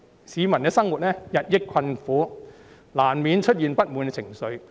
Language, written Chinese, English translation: Cantonese, 市民的生活日益困苦，難免出現不滿情緒。, Peoples livelihood is becoming increasingly difficult and discontent is inevitable